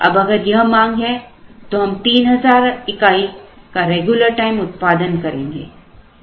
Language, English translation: Hindi, If this is the demand that is given, now what we will do is we will produce 3,000 regular time